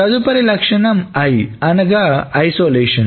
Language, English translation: Telugu, The next property is the isolation